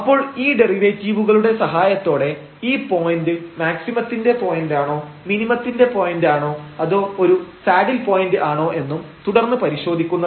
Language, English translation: Malayalam, So, with the help of these derivatives we will investigate further whether this point is a point of maximum or it is a point of minimum or it is a saddle point